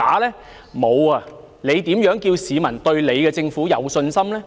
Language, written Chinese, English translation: Cantonese, 特首，你如何叫市民對你的政府有信心呢？, Chief Executive how can the public have confidence in the Government led by you?